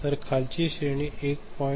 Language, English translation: Marathi, So, the lower range is 1